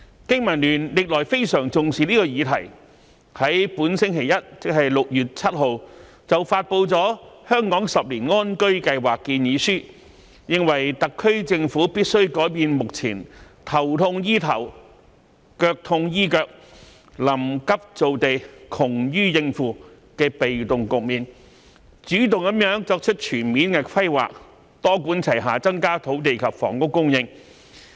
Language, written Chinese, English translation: Cantonese, 經民聯歷來非常重視這項議題，在本星期一6月7日便發布了《香港十年安居計劃》建議書，認為特區政府必須改變目前"頭痛醫頭、腳痛醫腳、臨急造地、窮於應付"的被動局面，主動作出全面規劃，多管齊下增加土地及房屋供應。, BPA has all along attached great importance to this issue . On 7 June this Monday BPA released a 10 - year housing plan for Hong Kong proposing that the SAR Government should change its current passive role which formulates piecemeal policies to deal with problems on an ad hoc basis and create land in a rush for the sake of expediency into an active and comprehensive planning role to increase land and housing supply through a multi - pronged approach